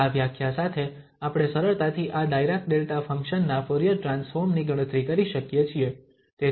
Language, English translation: Gujarati, And with this definition, we can easily compute the Fourier transform now of this Dirac Delta function